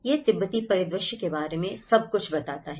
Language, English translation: Hindi, This is how the typical Tibetan landscape is all talked about